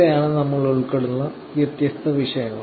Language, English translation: Malayalam, So, this is the topics that we covered